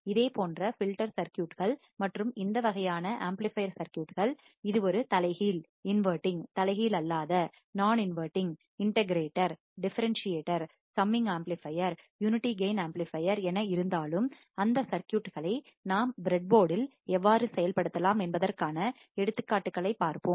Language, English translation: Tamil, And similar kind of filter circuits and similar kind of this amplifier circuits, whether it is a inverting, non inverting, integrator, differentiator, summer right, unity gain amplifier, we will see the examples how we can implement those circuits on the breadboard